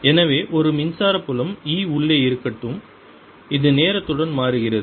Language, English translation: Tamil, so let there be an electric field, e, inside which is changing with time